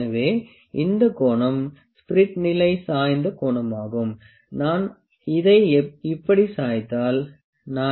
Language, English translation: Tamil, So, this angle, this angle that is angle at which the spirit l is level is tilted if I tilt it like this, ok